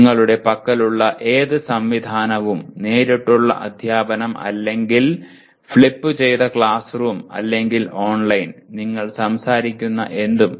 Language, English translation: Malayalam, Whatever mechanism that you have, direct teaching or flipped classroom or online; anything that you talk about